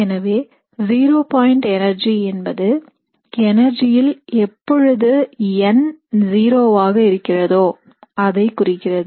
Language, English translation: Tamil, So zero point energy corresponds to the energy when n is zero